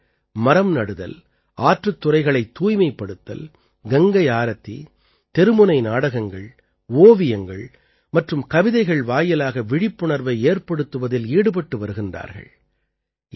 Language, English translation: Tamil, They are engaged in spreading awareness through planting trees, cleaning ghats, Ganga Aarti, street plays, painting and poems